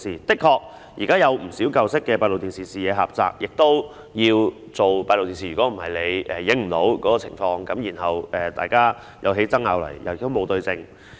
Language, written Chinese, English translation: Cantonese, 的確，現時有不少舊式閉路電視的視野狹窄，也有需要安裝閉路電視，否則不能攝錄有關情況，當大家有爭拗時便無法對證。, Indeed many of the existing old CCTV cameras have a narrower field of view and there is the need to install new ones . Otherwise the relevant situations cannot be recorded and when there is any dispute there will be no way to verify the truth